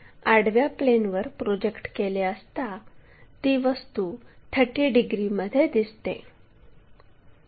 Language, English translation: Marathi, So, if I am projecting that onto horizontal plane there is a 30 degrees thing